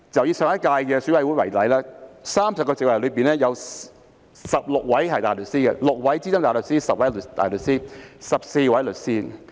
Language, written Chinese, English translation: Cantonese, 以上屆選委會為例 ，30 個席位中，有16位大律師及14位律師。, Among the 30 seats in EC of the last term for example there were 16 barristers and 14 solicitors